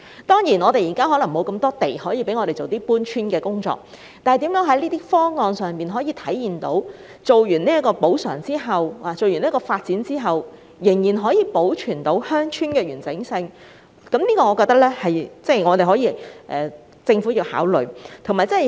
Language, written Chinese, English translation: Cantonese, 當然，現在可能沒有那麼多土地可讓鄉村搬遷，但如何在發展方案上體現出在作出補償及完成發展後，仍可保存鄉村的完整性，是政府需要考慮的問題。, Certainly there may not be sufficient land available now for relocation of rural villages but consideration should be given by the Government to the issue of how the development plans can reflect the fact that the integrity of the rural villages concerned can still be preserved after compensation has been made and the development has been completed